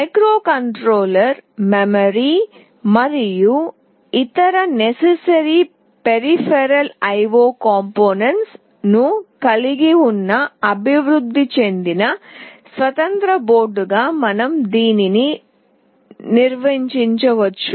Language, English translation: Telugu, We can define it as a standalone development board containing microcontroller, memory and other necessary peripheral I/O components